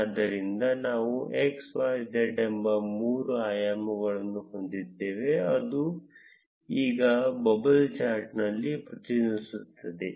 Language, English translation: Kannada, So, we would have three dimensions x, y, z which would now represent on a bubble chart